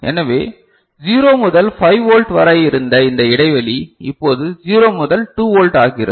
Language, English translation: Tamil, So, this span which was 0 to 5 volt, now becomes 0 to 2 volt ok